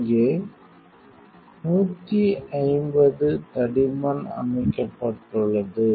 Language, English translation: Tamil, Here set at 150 thickness